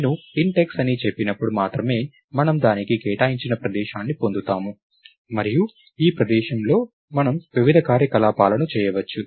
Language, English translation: Telugu, Only when I say int x, we get a location allocated to it and on this location, we can do various operations